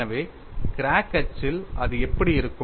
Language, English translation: Tamil, So, on the crack axis, how it will be